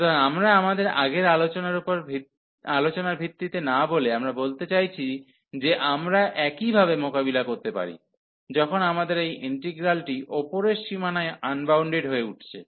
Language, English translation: Bengali, So, we are not as per the our earlier discussion that we are talking about I mean though similarly we can deal, when we have this integral is becoming unbounded at the upper bound